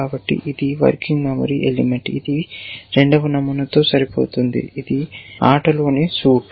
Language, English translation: Telugu, So, this is a working memory element which will match that pattern, second pattern that suit in play, in play